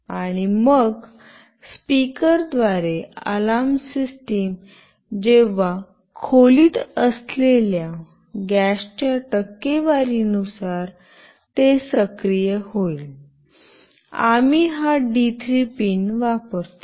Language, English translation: Marathi, And then with the speaker the alarm system when it will get activated depending on the percentage of gas present in the in a room; we use this D3 pin